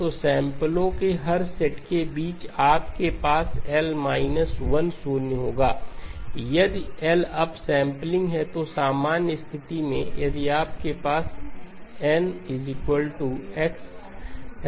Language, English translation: Hindi, So between every set of samples you will have L minus 1 zeros, if L is the sampling, so in the general case if you have a y2 dash of n equal to x of n by L